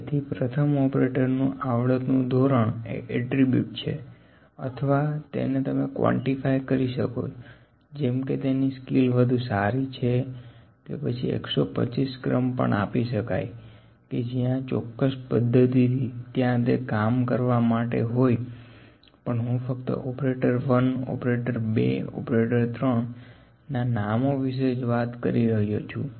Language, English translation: Gujarati, So, operator ones skill level can be attribute or the skill level can be further we can quantify that skill level can be put in an on a skill maybe richer skill 125 skill were they have certain ways to do that as well, but I am just talking about that operator 1 operator, 2 operator, 3 were just names